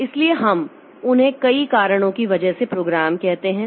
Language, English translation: Hindi, So, why do we call them as program because of several reasons